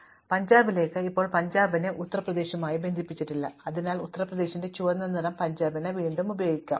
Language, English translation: Malayalam, When we get to Punjab, now Punjab is not even connected to Uttar Pradesh, so we can reuse the red color of Uttar Pradesh for Punjab